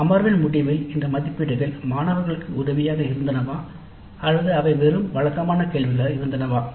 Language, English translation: Tamil, Now these assessments at the end of a laboratory session were they helpful to the students or were they just mere routine questions